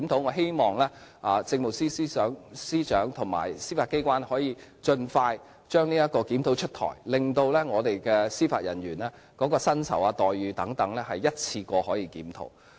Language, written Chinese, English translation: Cantonese, 我希望政務司司長和司法機關能盡快把這項檢討出台，令司法人員的薪酬、待遇等可一併作出檢討。, I hope the Chief Secretary for Administration and the Judiciary can implement the review as soon as possible so that the salaries and remuneration packages for judicial officers will be reviewed at the same time